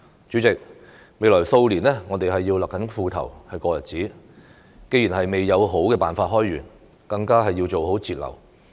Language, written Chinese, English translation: Cantonese, 主席，未來數年我們要勒緊褲頭過日子，既然未有好辦法開源，更要做好節流。, President in the coming years we will need to tighten our belts . When we have not identified better ways to generate revenue we should manage our costs